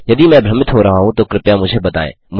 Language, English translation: Hindi, If I am being confusing please let me know